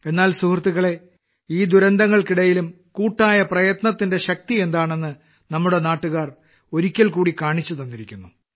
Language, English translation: Malayalam, But friends, in the midst of these calamities, all of us countrymen have once again brought to the fore the power of collective effort